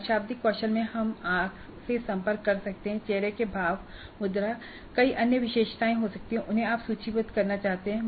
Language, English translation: Hindi, So, in non verbal skills we could have eye contact, facial expressions, posture, there could be several other attributes that you wish to list